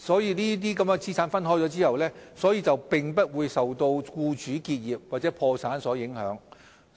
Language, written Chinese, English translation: Cantonese, 在資產分開後，有關資產便不會受僱主結業或破產所影響。, The separation of assets can avoid any impact on the relevant assets as a result of the employers business closure or bankruptcy